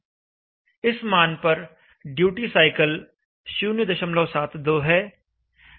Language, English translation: Hindi, And at this value the duty cycle is 0